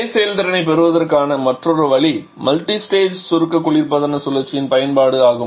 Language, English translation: Tamil, Another way of getting the same effectiveness is the use of multistage compression refrigeration cycle